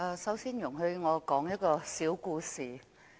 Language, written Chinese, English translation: Cantonese, 首先，容許我說一個小故事。, Before all else please allow me to tell a short story